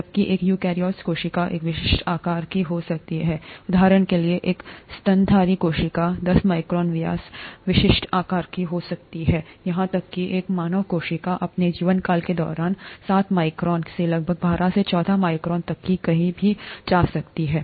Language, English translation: Hindi, Whereas a eukaryotic cell could be of a typical size, a mammalian cell for example could be of ten micron diameter, typical size, even a human cell goes anywhere from seven microns to about twelve to fourteen microns during its lifetime